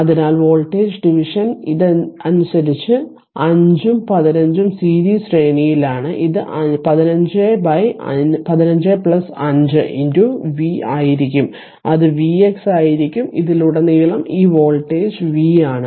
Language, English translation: Malayalam, So, voltage division because 5 and 15 ohm are in series so, it will be 15 by 15 plus 5 into this v that will be your v x, this voltage across this is v